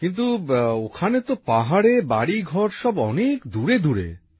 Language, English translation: Bengali, But there in the hills, houses too are situated rather distantly